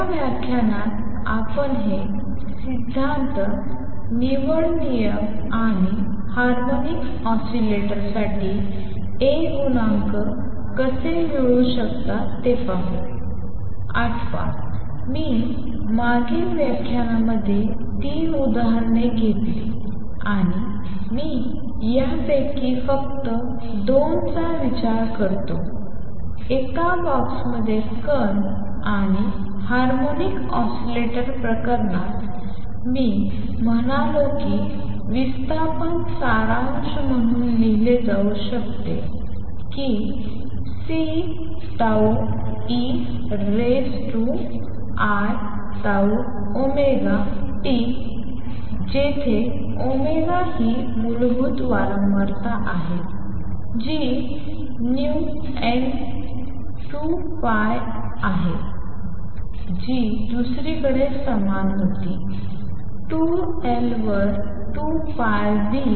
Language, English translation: Marathi, Recall, I took 3 examples in the previous lectures and I just consider 2 of these; the harmonic oscillator and the particle in a box and in the harmonic oscillator case, I said that the displacement can be written as summation C tau e raise to i tau omega t where omega is the basic frequency which is nu times 2 pi which was equal to 2 pi v over 2 L